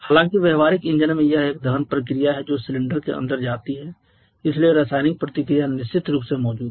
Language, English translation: Hindi, However in practical engines it is a combustion reaction that goes inside the cylinder so chemical reaction is definitely present